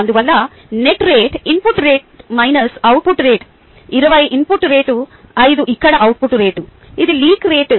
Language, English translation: Telugu, twenty was input rate, five is output rate here, which is the rate of leak, the